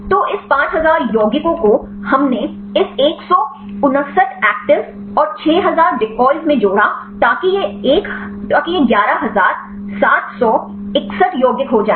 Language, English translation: Hindi, So, this 5000 compounds we added this 159 actives and 6000 decoys so that this will be 11761 compounds